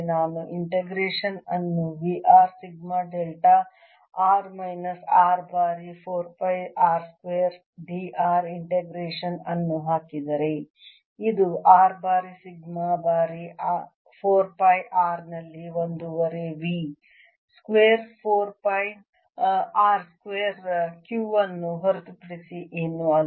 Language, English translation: Kannada, r sigma delta r minus r times four pi r square, d r integration, which is one half v at r times sigma times four pi r square, four pi r square is nothing but q